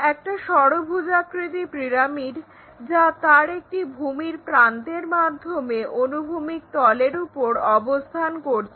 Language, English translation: Bengali, So, we have hexagonal pyramid and it is resting on horizontal plane